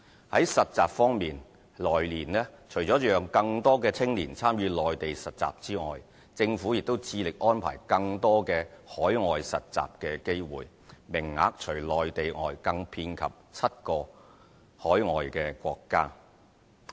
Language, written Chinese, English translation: Cantonese, 在實習方面，來年除了讓更多青年參與內地實習之外，政府亦致力安排更多海外實習機會，名額除內地外更遍及7個海外國家。, Apart from internships in the Mainland the Government will also endeavour to arrange more overseas internship opportunities for young people in the coming year . Internship opportunities will be extended to cover seven foreign countries in addition to the Mainland